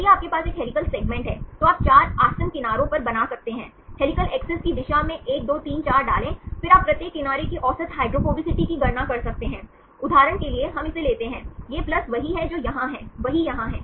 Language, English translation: Hindi, So, if you have a helical segment, you can make on 4 adjacent edges you can put 1 2 3 4 in the direction of the helical axis, then you can calculate the average hydrophobicity of each edge for example, we take this, these plus same is here, same is here